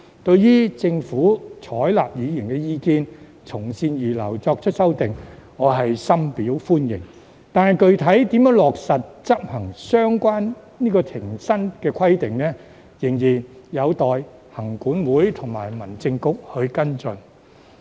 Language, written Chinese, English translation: Cantonese, 對於政府採納議員意見，從善如流，作出修訂，我是深表歡迎的，但具體如何落實執行相關停薪的規定，仍然有待行管會與民政局跟進。, I very much appreciate that the Government has adopted Members views heeded good advice and made the amendments . Nevertheless LCC and HAB have to follow up on enforcing the requirements of remuneration suspension